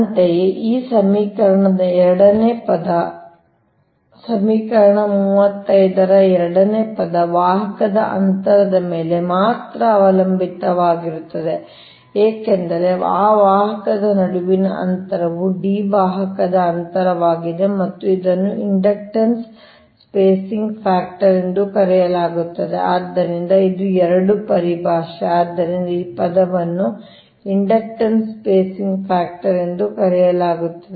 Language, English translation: Kannada, second term of equation thirty five right is depended only upon the conductor spacing, because between that conductor distance is d, then the conductor spacing and this is known as inductance spacing factor, right